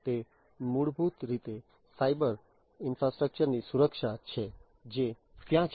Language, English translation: Gujarati, So, it is basically the security of the cyber infrastructure that is there